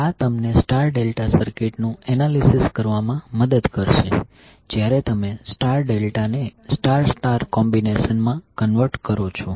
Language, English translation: Gujarati, So this will help you to analyze the star delta circuit while you convert star delta into star star combination